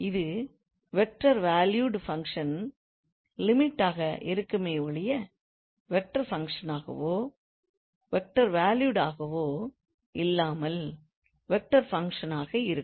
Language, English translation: Tamil, So that will be the limit of this vector valued function or vector function, not vector valued but a vector function